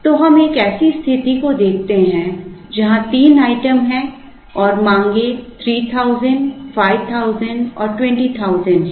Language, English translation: Hindi, So, let us look at a situation where there are 3 items and the demands are 3000, 5000, and 20,000